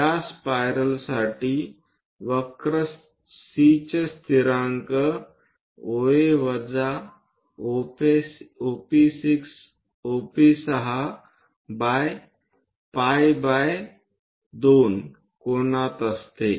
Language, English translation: Marathi, For this spiral, there is a constant of the curve C is equal to OA minus OP6 by pi by 2 angle